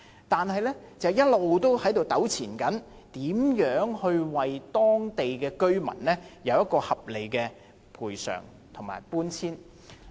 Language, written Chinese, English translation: Cantonese, 但是，一直糾纏的問題是如何為當地居民制訂合理賠償和搬遷計劃。, However the perennial problem is how to formulate a reasonable compensation and relocation programme for the local residents